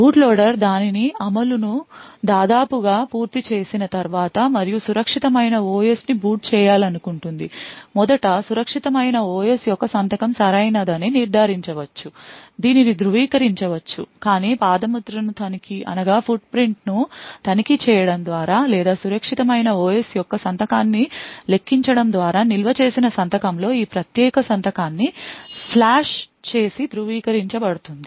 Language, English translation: Telugu, After the boot loader is nearly completing its execution and would want to boot the secure OS it could first determine that the signature of the secure OS is correct this can be verified but checking the footprint or by computing the signature of the secure OS present in the flash and verifying this particular signature with a stored signature